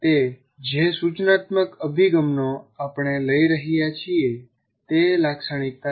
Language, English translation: Gujarati, That characterizes the particular instructional approach that we are taking